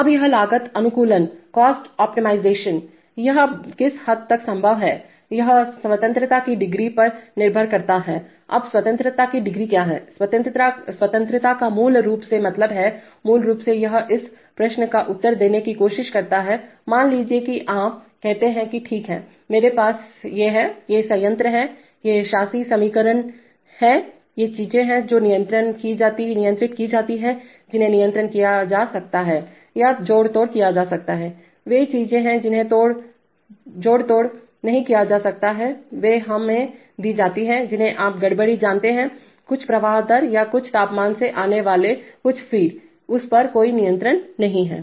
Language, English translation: Hindi, Now this cost optimization, to, to what extent it is possible, that depends on the degrees of freedom, now what is the degrees of freedom, degree the freedom basically means, basically it tries to answer this question, that suppose you say that okay, I have these as, this is the plant, these are the governing equations, these are the things which are, which can be controlled or the manipulated, those are the things which cannot be manipulated, they are given to us there you know disturbance, some feed coming from at some flow rate or some temperature, no control on that